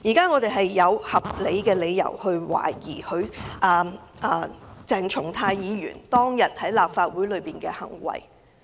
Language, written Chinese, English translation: Cantonese, 我們現在有合理理由懷疑鄭松泰議員當天在立法會大樓內的行為不當。, We now have reasonable grounds to suspect that Dr CHENG Chung - tai misbehaved inside the Legislative Council Complex on that day